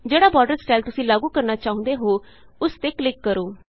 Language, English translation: Punjabi, Click on one of the styles you want to apply on the borders